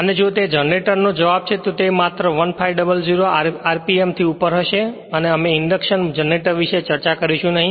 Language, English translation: Gujarati, And if it is if it is answers generator it will be just above 1,500 RMP we will not discuss about induction generator only little about motor right